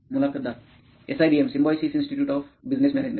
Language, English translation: Marathi, SIBM, Symbiosis Institute of Business Management